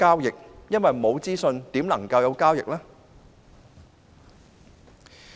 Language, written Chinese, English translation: Cantonese, 如果沒有資訊，又如何能進行交易？, Without any information how can transactions be conducted?